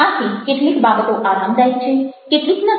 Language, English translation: Gujarati, so certain things are comfortable, certain things are not